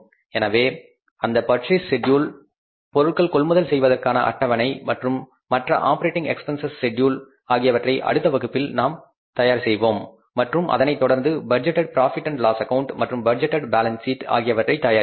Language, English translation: Tamil, So that purchase schedule, purchase for the material schedule and for the other operating expenses schedule we will prepare in the next class and then accordingly we will proceed further for preparing the, say the budgeted profit and loss account, the cash budget and the budgeted balance sheet